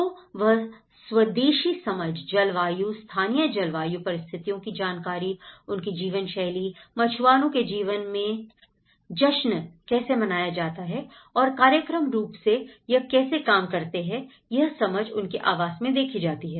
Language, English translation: Hindi, So, they try to have this indigenous understanding of climatic, the local climatic conditions and it will also serving their way of life, how the fisherman's life is also celebrated and how functionally it works